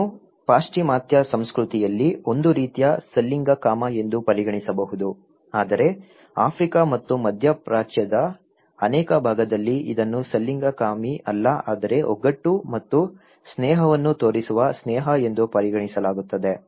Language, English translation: Kannada, This is could be considered in Western culture as a kind of homosexuality but in many part of Africa and Middle East this is considered to be as not homosexual but solidarity and also friendship showing friendship